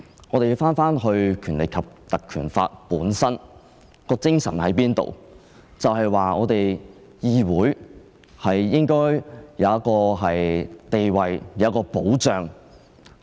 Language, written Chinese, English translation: Cantonese, 我們應從《立法會條例》的精神來理解，《條例》的精神就是議會應有其地位和保障。, This should be interpreted on the basis of the spirit of the Legislative Council Ordinance ie . the Council should have its status and protection